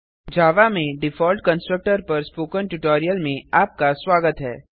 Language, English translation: Hindi, Welcome to the Spoken Tutorial on default constructor in java